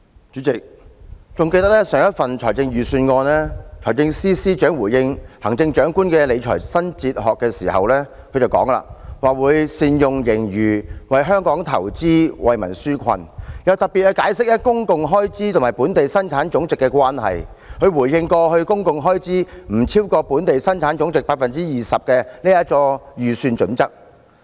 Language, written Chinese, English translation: Cantonese, 主席，記得財政司司長就上一份財政預算案回應行政長官的理財新哲學時，表示會"善用盈餘、為香港投資、為民紓困"，又特別解釋公共開支與本地生產總值的關係，以回應有關公共開支不超越本地生產總值 20% 的財政預算準則。, President when the Financial Secretary responded to the question concerning the Chief Executives new fiscal philosophy advocated in last years Policy Address he said that he would optimize the use of surplus to invest for Hong Kong and relieve our peoples burdens . He also explained in particular the relationship between public expenditure and Gross Domestic Product GDP in relation to the budgetary criterion of public expenditure not exceeding 20 % of GDP